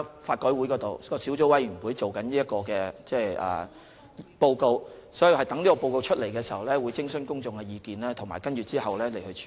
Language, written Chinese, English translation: Cantonese, 法改會轄下小組委員現正進行研究，待發表報告後，我們會徵詢公眾的意見，其後會再作處理。, The subcommittees under LRC are now studying this issue and after reports are published we will consult the public and then handle the various issues accordingly